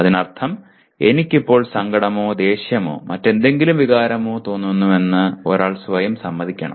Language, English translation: Malayalam, That means one has to acknowledge to himself or herself that I am presently feeling sad or angry or some other emotion